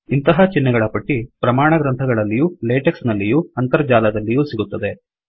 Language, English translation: Kannada, One can get the complete list of such symbols from standard textbooks on latex or from the internet